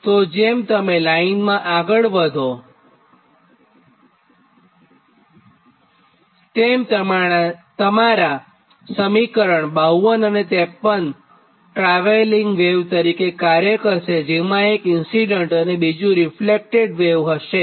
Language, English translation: Gujarati, that your that equation fifty two and fifty three, its behave like a travelling wave, right, because one is incident wave and another is reflected one